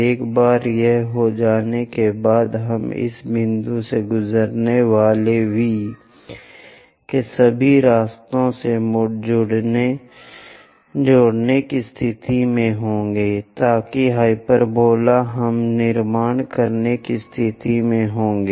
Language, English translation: Hindi, Once it is done, we will be in a position to join V all the way passing through this point, so that a hyperbola we will be in a position to construct